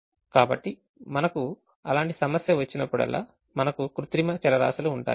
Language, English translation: Telugu, so whenever we have such problems we will have artificial variables